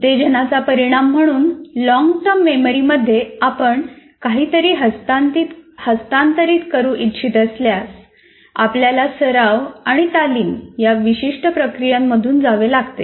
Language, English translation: Marathi, So if you want to transfer something as a result of stimulus something into the long term memory, you have to go through certain processes as we said practice and rehearsal